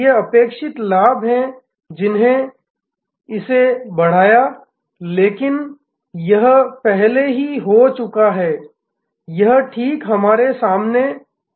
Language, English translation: Hindi, These are the expected gains that drove, but this has already happened, this is happening right in front of us